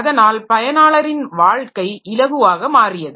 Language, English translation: Tamil, So, so that the life of the user becomes simple